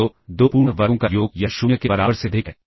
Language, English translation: Hindi, So, sum of 2 perfect squares this is greater than equal to 0